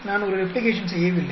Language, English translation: Tamil, I did not do a replication